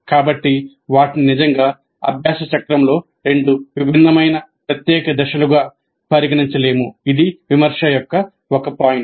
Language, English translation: Telugu, So, they cannot be really considered as two distinct separate stages in the learning cycle